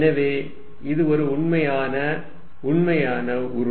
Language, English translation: Tamil, So, it is a real, real entity